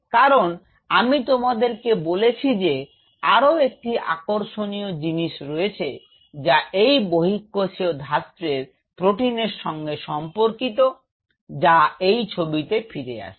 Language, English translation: Bengali, Because I told you there is another very interesting thing which is related to this extracellular matrix protein there is coming back to this picture